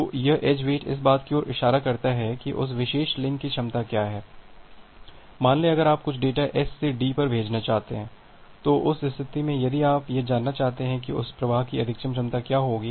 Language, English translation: Hindi, So, this edge wait signifies that what is the capacity of that particular link, say if you want send some data S to D, at that case, if you want to find out that what would be the capacity of that flow what would be the maximum capacity of that flow